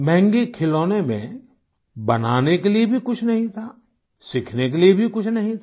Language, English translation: Hindi, In that expensive toy, there was nothing to create; nor was there anything to learn